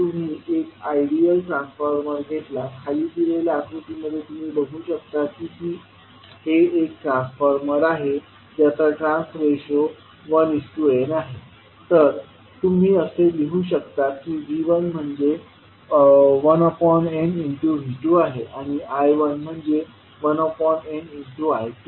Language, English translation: Marathi, If you consider an ideal transformer, if you see in the figure below it is an ideal transformer having some trans ratio 1 is to n, so what you can write